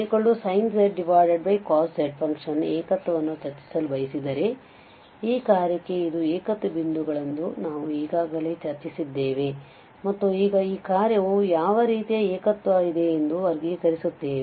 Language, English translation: Kannada, Now, if you want to discuss the singularity of the function tan z which is sin z over cos z, so we have already discussed that this are the singular points for this function and now we will classify them that what kind of singularities does this function has